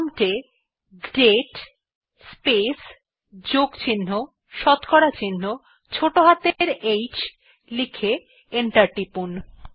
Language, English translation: Bengali, Type at the prompt date space plus% small h and press enter